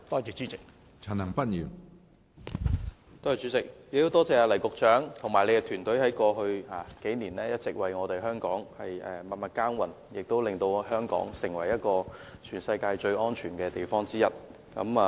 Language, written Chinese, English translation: Cantonese, 主席，我很感謝黎局長及其團隊在過去數年一直為香港默默耕耘，令香港成為全世界最安全的地方之一。, President I would like to express my gratitude to Secretary LAI Tung - kwok and his team . Because of their behind - the - scene efforts over the past few years Hong Kong has remained one of the safest places in the world